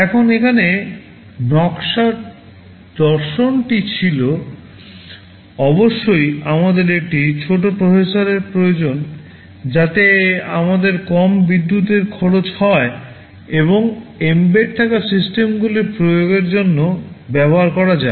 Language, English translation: Bengali, Now the design philosophy here was of course , first thing is that we need a small processor so that we can have lower power consumption and can be used for embedded systems application